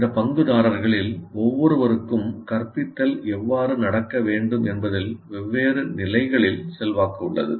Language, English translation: Tamil, These are all stakeholders and each one of them have different levels of influence on how the instructions should take place